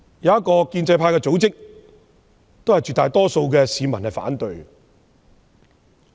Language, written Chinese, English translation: Cantonese, 一個親建制派組織的調查顯示，絕大多數市民反對計劃。, Just to name a few a survey conducted by a pro - establishment camp found that a great majority of the people opposed the project